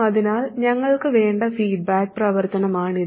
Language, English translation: Malayalam, So this is the feedback action that we want